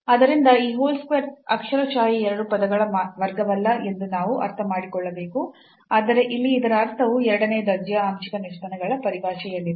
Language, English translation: Kannada, So, that we have to understand that this whole square is not literally the a square of this two terms, but the meaning of this here is in terms of the second order partial derivatives